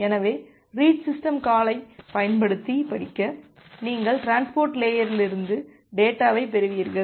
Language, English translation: Tamil, So, the read using the read system call, you will receive the data from the transport layer